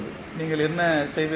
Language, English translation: Tamil, So, what you will do